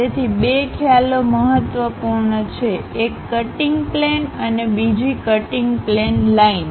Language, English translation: Gujarati, So, two concepts are important; one is cut plane, other one is cut plane line